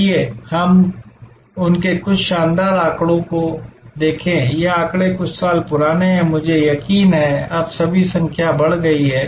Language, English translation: Hindi, Let us look at some of the fantastic figures they have, these figures are few years older, I am sure now all the numbers have gone up significantly